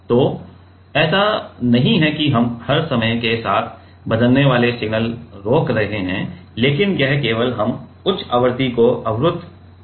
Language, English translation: Hindi, So, it is not like that that we are chopping off all the time varying signal but, it is only we are only blocking the high frequency